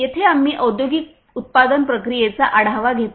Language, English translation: Marathi, Here we take a look into the industrial manufacturing process